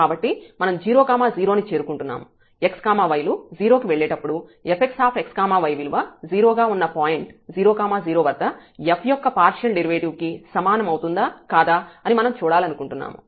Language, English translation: Telugu, So, we are approaching to 0 0, we want to see whether f x as x y goes to 0 is equal to the partial derivative of f at 0 0 point which was 0 there